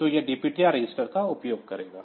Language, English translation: Hindi, So, it will use the DPTR register